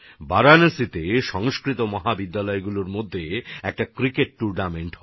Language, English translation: Bengali, In Varanasi, a cricket tournament is held among Sanskrit colleges